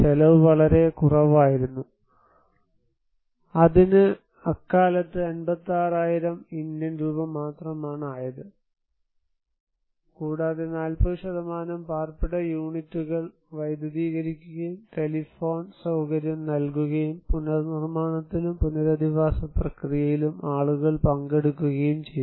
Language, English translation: Malayalam, The cost was much significantly lower that is only 56,000 Indian rupees that time and 40% of the dwelling units is electrified and telephone facility was provided and people participated in the reconstruction and rehabilitation process, here is a file per picture